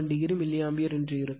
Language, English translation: Tamil, 87 degree milliAmpere right